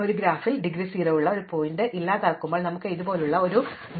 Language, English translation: Malayalam, So, when we delete a vertex with indegree 0 from a graph so supposing we have a DAG like this